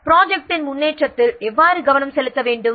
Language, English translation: Tamil, So, how to work to focus on the progress of the project